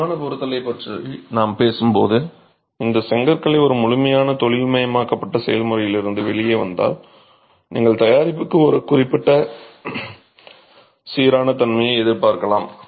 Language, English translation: Tamil, When we talk of dimensional tolerances, if these bricks are coming out of a thorough industrialized process, you can expect a certain uniformity to the product